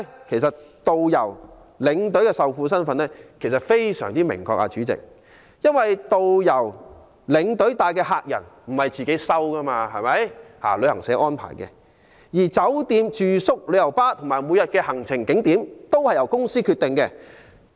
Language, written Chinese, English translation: Cantonese, 其實導遊、領隊的受僱身份非常明確，因為導遊、領隊帶領的客人並非由他們選擇，而是由旅行社安排；而酒店住宿、旅遊巴，以及每天的行程景點，都是由公司決定。, As a matter of fact tourist guides and tour escorts are obviously working in the capacity as employees because the clients are not selected by them but arranged by travel agents and hotel accommodation coaches and daily itinerary are decided by travel agents